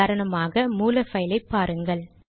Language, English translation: Tamil, For example, look at the source file